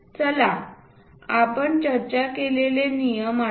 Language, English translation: Marathi, Let us recall our discussed rules